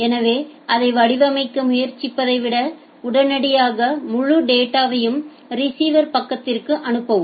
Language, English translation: Tamil, So, rather than trying to shape it immediately send the entire data to the receiver side